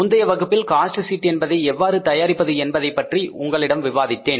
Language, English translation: Tamil, In the previous class I discussed with you that how to prepare the cost sheet